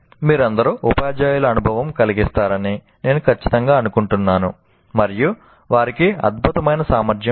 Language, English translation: Telugu, I'm sure you all teachers do experience that they have tremendous capacity for that